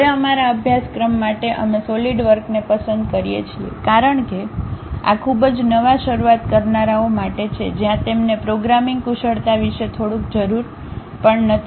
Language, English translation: Gujarati, Now, for our course we prefer Solidworks uh because this is meant for very beginners where they do not even require any little bit about programming skills, ok